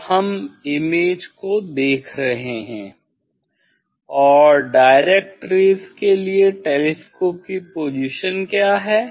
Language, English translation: Hindi, And we are seeing the image and what is the position of the telescope at direct ray that we find out in this method